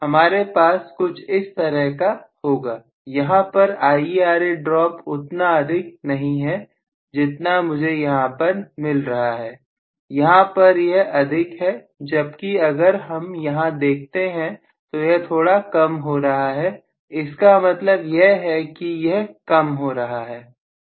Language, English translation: Hindi, I am going to have something like this, so here probably IaRa drop at this point is really not as large as what I am getting here, here it is larger whereas here this is going to be slightly smaller, so it comes in the decreasing direction